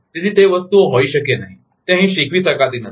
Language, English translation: Gujarati, So, those things cannot be, it cannot be taught here